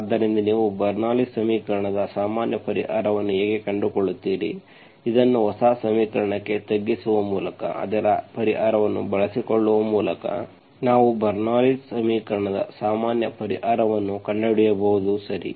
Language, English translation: Kannada, So that is how you find the general solution of a Bernoulli equation, this with, by reducing it into a new equation, by exploiting its solution we can find the general solution of the Bernoulli s equation, okay